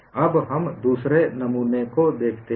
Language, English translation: Hindi, Now, let us look at the second specimen